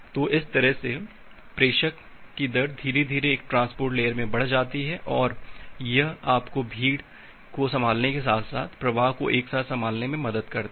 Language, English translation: Hindi, So, that way the sender rate gradually increases in a transport layer and it helps you to find out to handle the congestion as well as the flow control simultaneously